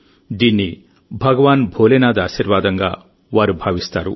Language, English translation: Telugu, They consider it as the blessings of Lord Bholenath